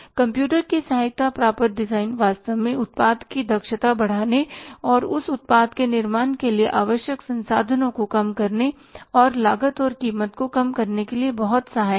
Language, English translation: Hindi, Computer aided designs are really very, very helpful to increase the efficiency of the product and minimize the resources required for manufacturing their product and lowering down the cost and the price